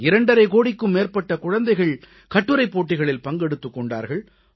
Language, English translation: Tamil, More than two and a half crore children took part in an Essay Competition on cleanliness